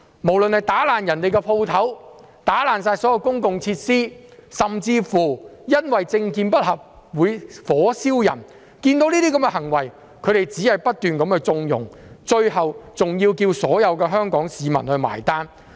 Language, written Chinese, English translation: Cantonese, 不論是打破店鋪的東西、破壞公共設施，甚至因為政見不合而火燒人等，他們對這些行為也只是不斷縱容，最後還要求所有香港市民買單。, They have consistently condoned vandalism of shops and public facilities and even setting someone with different political views on fire and eventually asked all Hong Kong people to pay the bills